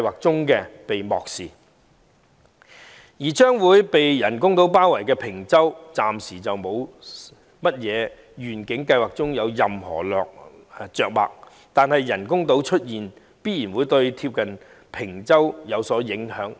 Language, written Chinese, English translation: Cantonese, 至於將被人工島包圍的坪洲，在願景計劃中則暫時未有任何着墨，但人工島的出現必然會對鄰近的坪洲有所影響。, As for Peng Chau which will find itself surrounded by the artificial islands it is nowhere to be seen in the vision programme for the time being . But the creation of such artificial islands will definitely have some impact on the neighbouring Peng Chau